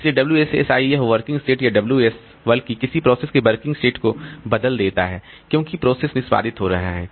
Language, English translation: Hindi, So, WSSI, this working set or WS rather, the working set of a process it changes as the process is executing